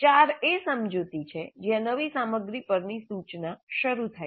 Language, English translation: Gujarati, 4 is explanation where the instruction on the new material commences